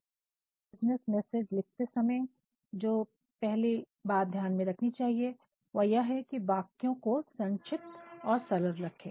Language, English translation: Hindi, So, the very first thing that we should keep into consideration while drafting our business messages make use of short and simple sentences